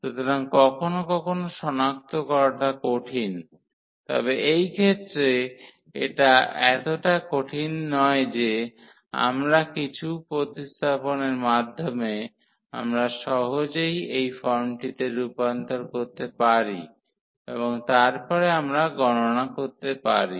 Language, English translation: Bengali, So, sometimes difficult to recognize, but in this case it is not so difficult we by some substitution we can easily convert into this form and then we can evaluate